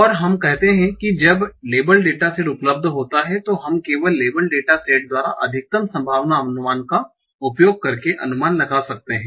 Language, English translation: Hindi, And we said that when the label data is available, we can simply estimate using maximal likelihood estimate by the label data set